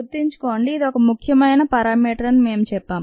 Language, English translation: Telugu, remember we said it was an important parameter